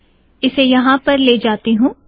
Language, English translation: Hindi, Lets take it here